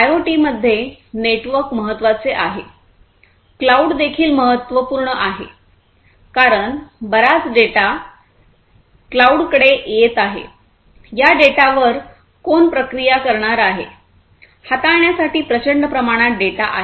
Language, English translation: Marathi, So, this IoT the network is important; this network is important and cloud is also important, because lot of data are coming in, who is going to process the data; so much of data difficult to handle